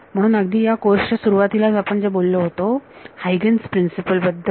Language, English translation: Marathi, So, what was what was the very start of this course we have talked about Huygens principle